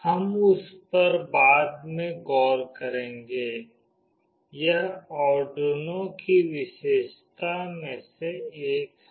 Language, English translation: Hindi, We will look into that later, this is one of the feature of Arduino